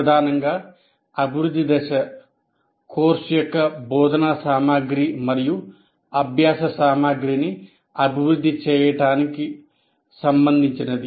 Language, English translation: Telugu, Essentially the development phase is concerned with developing instructional material and learning material as of the course